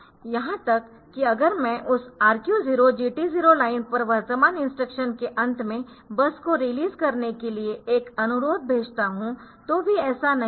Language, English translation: Hindi, So, even if I tell it if I send it a request to that RQ 0 GT 0 line, that that I release the bus at the end of current instruction so that will not happen